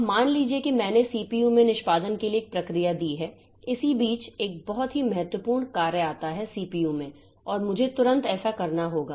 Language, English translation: Hindi, Now, suppose I have given a process for execution into the CPU in between a very important task comes and I have to do that immediately